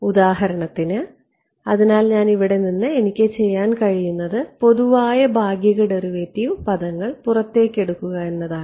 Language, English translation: Malayalam, So, for example so, what I can do from here is extract out the common partial derivative terms ok